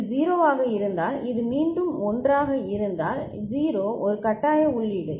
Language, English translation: Tamil, Then if this is 0 and this is 1 again 0 is a forcing input